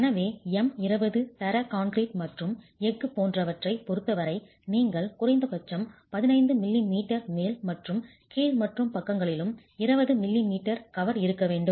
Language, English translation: Tamil, So, m20 grade of concrete and as far as the steel is concerned, you have to have a minimum cover of 15 m m at the top and bottom and 20 millimeters cover on the sides